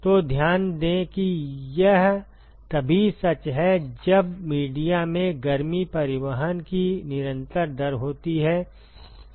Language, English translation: Hindi, So, note that this is true only when there is constant rate of heat transport in the media